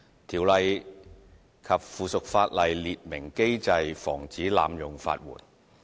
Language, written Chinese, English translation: Cantonese, 《條例》及附屬法例列明機制防止濫用法援。, The Ordinance and its subsidiary legislation expressly provide a mechanism to prevent the abuse of legal aid